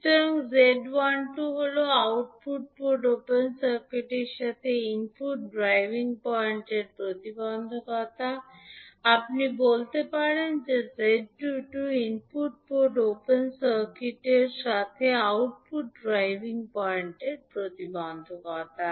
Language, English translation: Bengali, So, Z12 is the input driving point impedance with the output port open circuited, while you can say that Z22 is the output driving point impedance with input port open circuited